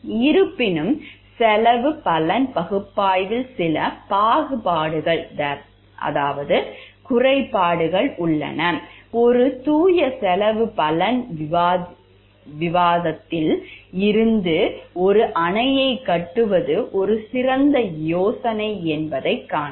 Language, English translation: Tamil, However there are certain pitfalls of the cost benefit analysis, like from a pure cost benefit discussion it might seem that the building of a dam is an excellent idea